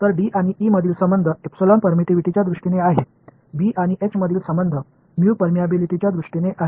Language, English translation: Marathi, So, the relation between D and E is in terms of epsilon permittivity right, relation between B and H is in terms of mu permeability ok